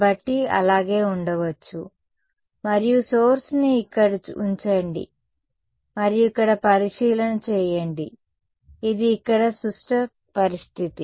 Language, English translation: Telugu, So, may as well and put the source here and observation over here ok, it is a symmetric situation over here